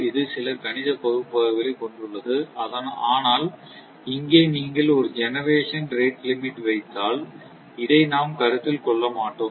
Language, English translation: Tamil, It has some mathematical analysis, but here we will not consider if you put generation rate limit